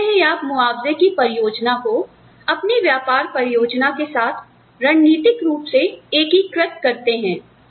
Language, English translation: Hindi, So, this is how, you strategically integrate the compensation plans, with your business plans